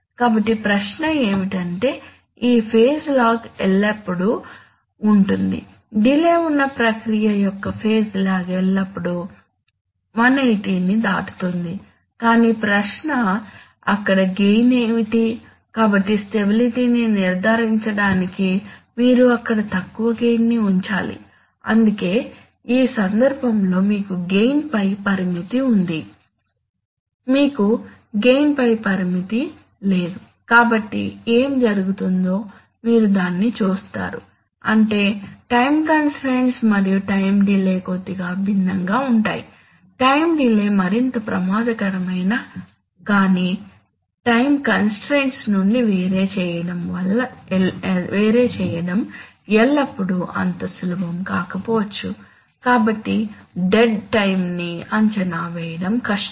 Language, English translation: Telugu, So the question is that, that, so there is always this phase lag the phase lag of the process with a delay is always going to cross 180 but the question is what is the gain at that point, so to ensure stability you have to keep the gain low at that point that is why you have a limit on the gain, while in this case, in this case You do not have any limit on the gain, so what happens, so you see that, That, I mean, time constants and time delays are slightly different, a time delays are potentially more risky but distinguishing them from time constant may not always be so simple, so therefore estimating dead time is difficult